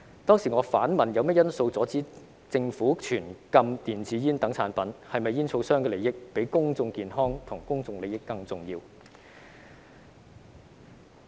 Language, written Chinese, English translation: Cantonese, 當時我反問有甚麼因素阻止政府全禁電子煙等產品，是否煙草商的利益比公眾健康和公眾利益更重要。, I then queried what factors were preventing the Government from banning products like e - cigarettes and whether the interests of tobacco companies outweigh public health and public interest